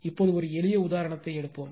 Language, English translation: Tamil, Now, we will take a simple example right